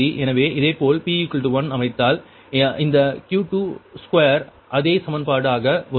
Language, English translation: Tamil, so if, similarly, set p is equal to one, then this q two, two will be the same equation will come right